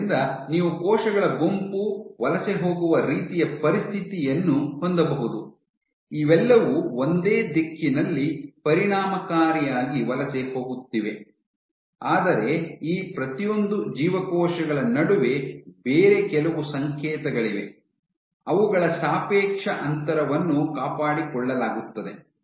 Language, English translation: Kannada, So, you can also have a situation when you have a group of cells migrating, all of them are effectively migrating in the same direction, but there is some other signaling between each of these cells such that their relative distance is maintained